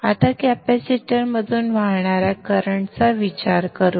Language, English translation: Marathi, And now how will be the current through the inductor